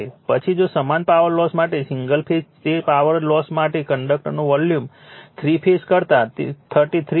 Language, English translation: Gujarati, Then if you single phase for the same power loss; for the same power loss right that volume of the conductor is 33